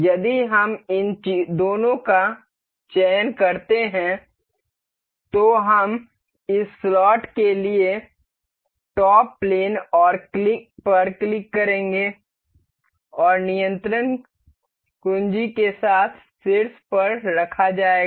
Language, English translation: Hindi, If we control select these two we will click on top plane for this slot and the top with control keys, key placed